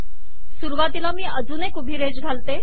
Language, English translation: Marathi, Let me put one more vertical line at the beginning